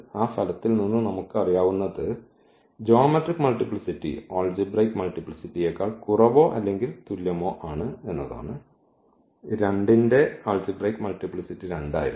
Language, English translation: Malayalam, What we know from that result that algebraic multiplicity is less than or equal to the, or the geometric multiplicity is less than equal to the algebraic multiplicity that the algebraic multiplicity of this 2 was 2